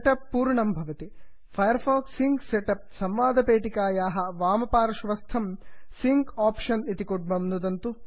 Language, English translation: Sanskrit, The setup is complete Click on the sync option button on the left of the firefox sync setup dialog box